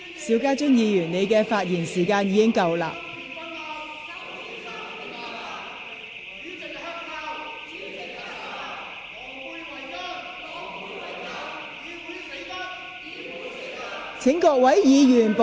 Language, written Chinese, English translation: Cantonese, 邵家臻議員，你的發言時限已過，請坐下。, Mr SHIU Ka - chun your speaking time is over . Please sit down